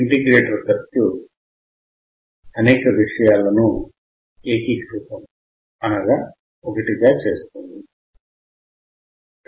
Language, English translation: Telugu, Integrator means it will integrate a lot of things in one